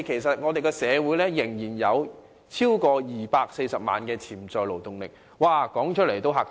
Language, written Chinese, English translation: Cantonese, 香港社會仍然有超過240萬潛在勞動人口，說出來也嚇怕人。, There is still a potential labour force of more than 2.4 million in Hong Kong which sounds terrifying